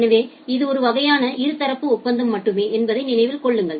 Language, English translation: Tamil, So, remember that it is a kind of pure bilateral agreement